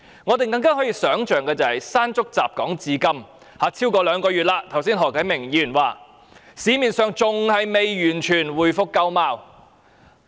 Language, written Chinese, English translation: Cantonese, 我們更難想象，"山竹"襲港至今超過兩個月，市面好像何啟明議員剛才說的還未完全回復舊貌。, It is ever harder for us to imagine that more than two months have passed since Typhoon Mangkhut hit Hong Kong the city has yet to restore to its original state as pointed out by Mr HO Kai - ming just now